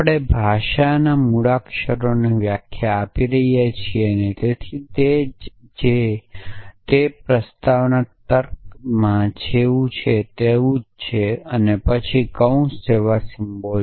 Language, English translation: Gujarati, So, we are defining the alphabet of the language so and so on which is the very which is the same as what it was in proposition logic then symbols like brackets and so on